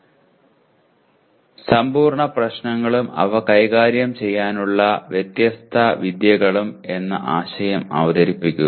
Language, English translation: Malayalam, Introduce the concept of NP complete problems and different techniques to deal with them